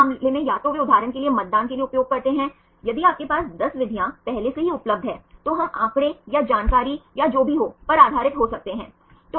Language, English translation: Hindi, In this case either they use for voting for example, if you get 10 methods available already we can based on statistics or information or whatever right